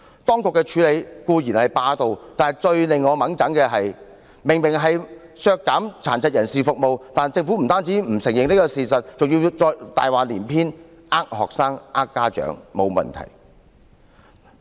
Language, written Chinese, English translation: Cantonese, 當局的處理手法固然霸道，但最令我氣憤的是，明明就是削減殘疾人士服務，但政府不單不承認事實，更大話連篇地欺騙學生和家長，說不會有問題。, The way in which the Administration handled the case is certainly overbearing . What frustrated me most is that while it has obviously reduced the services for people with disabilities it not only refuses to confess the facts but also deceives students and parents by saying that there will be no problem